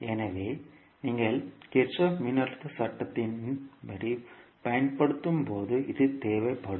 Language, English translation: Tamil, So, this will be required when you having the Kirchhoff voltage law to be applied